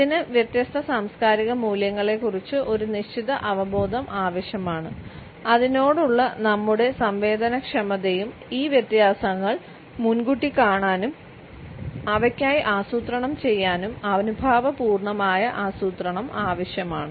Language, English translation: Malayalam, It requires a certain awareness of different cultural values, our sensitivity towards it and an empathetic planning to foresee these differences and plan for them